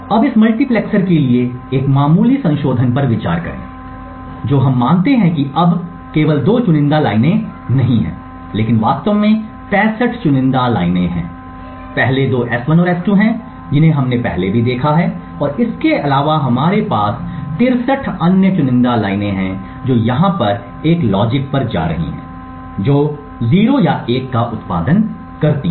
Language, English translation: Hindi, Now consider a slight modification to this multiplexer, what we assume is that there is now not just two select lines but there are in fact 65 select lines, the first two are S1 and S2 which we have seen as before and besides that we have 63 other select lines which are going to a logic over here which produces either 0 or 1